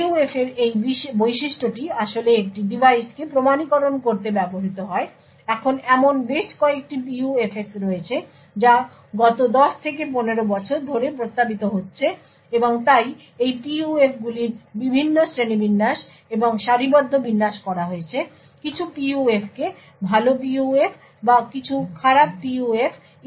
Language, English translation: Bengali, So, this feature of PUF is what is actually used to authenticate a device, now there have been several PUFS which have been proposed over the last 10 to 15 years or So, and therefore there has been various classification and ranking of these PUFs to actually sign some PUFs as good PUFs or some as bad PUFs and so on